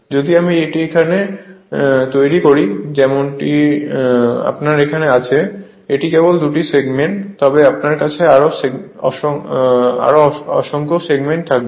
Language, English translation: Bengali, If I make it here as you have here it is only two segments, but you have more number of segments